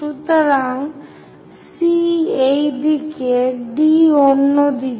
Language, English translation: Bengali, So, C is on this side, D is on the other side